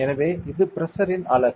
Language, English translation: Tamil, So, this is the unit of pressure ok